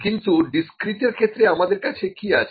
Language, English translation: Bengali, But in discrete, what we have